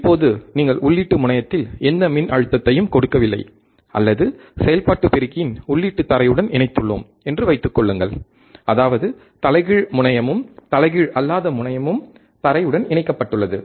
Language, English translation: Tamil, Now, assume that you have given no voltage at input terminal, or input terminal op amps are are grounded; that means, is inverting terminal is ground non inverting terminal is ground